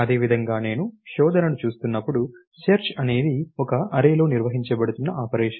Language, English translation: Telugu, Similarly when I am looking at searching, searching is an operation that is being performed on an array